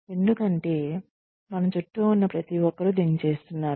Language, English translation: Telugu, Just because, everybody else around us is doing it